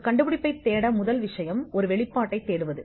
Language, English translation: Tamil, To look for an invention, the first thing is to look for a disclosure